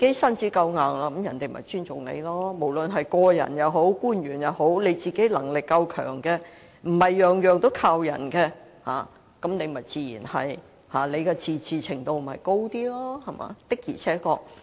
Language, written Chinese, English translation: Cantonese, 身子夠硬，自會受別人尊重。無論是個人也好，官員也好，只要自己的能力夠強，無須事事依靠別人，本身的自治程度便會較高。, If one is strong one will naturally be respected by others regardless of whether one is an individual or an official . As long as we are strong enough ourselves and do not have to rely on others for everything we will have a higher degree of autonomy